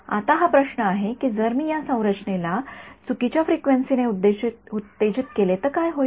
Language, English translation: Marathi, Now the question lies what should I if I excite this structure with the wrong frequency what will happen